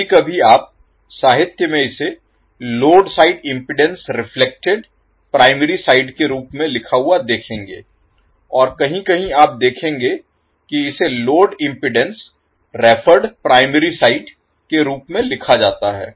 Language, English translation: Hindi, So, sometimes you will see in the literature it is written as the load impedance reflected to primary side and somewhere you will see that it is written as load impedance referred to the primary side